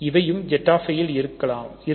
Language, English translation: Tamil, So, this is also in Z i